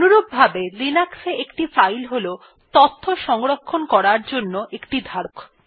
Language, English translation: Bengali, Similarly a Linux file is a container for storing information